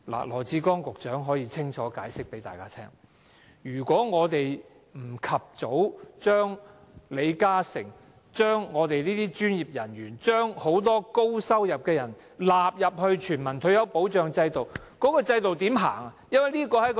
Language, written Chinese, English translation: Cantonese, 羅致光局長可以清楚向大家解釋，要是我們不及早將李嘉誠、我們這些專業人員，以及很多高收入人士納入全民退休保障制度，這個制度怎樣實行？, Secretary Dr LAW Chi - kwong can clearly explain to the public that if we fail to include LI Ka - shing professionals like us and many high - income earners into a universal retirement protection system as early as possible its implementation will become impossible